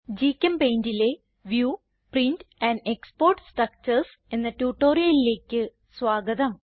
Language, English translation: Malayalam, Welcome the tutorial on View, Print and Export structures in GChemPaint